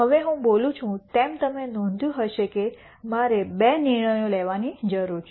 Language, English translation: Gujarati, Now, as I speak you would have noticed that there are two decisions that I need to make